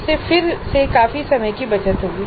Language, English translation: Hindi, This would again save considerable time